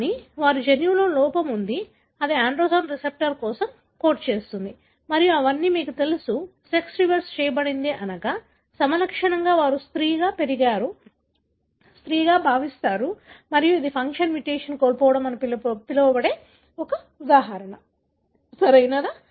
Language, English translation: Telugu, But, they have a defect in their gene that codes for androgen receptor and all of them are, you know, sex reversed, meaning phenotypically they are female; they grew up as female, they feel like female and this is an example of what is called as loss of function mutation, right